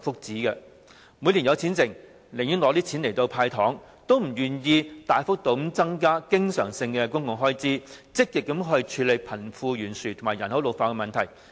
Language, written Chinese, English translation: Cantonese, 政府每年錄得盈餘，但卻寧願用作"派糖"，也不願意大幅度增加經常性公共開支，積極處理貧富懸殊和人口老化的問題。, Surpluses are recorded every year but the Government simply uses the money for handing out sweeteners rather than substantially increasing the recurrent public expenditure for the purpose of actively tackling the wealth gap and the problem of population ageing